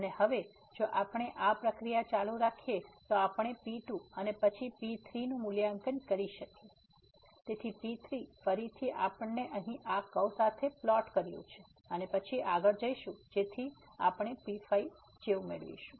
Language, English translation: Gujarati, And now if we continue this process we can evaluate then , so again we have plotted here with this curve and then going further so we will get like